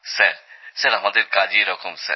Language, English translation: Bengali, Sir, our line of work is like that